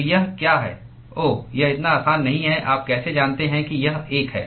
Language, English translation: Hindi, So, what is it oh it is not that simple how do you know that it is 1